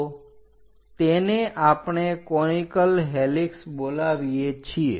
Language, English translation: Gujarati, So, this is what we call conical helix